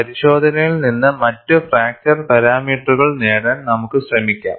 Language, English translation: Malayalam, So, you do not give up; you try to get other fracture parameters from the test